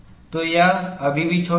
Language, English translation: Hindi, So, it is still small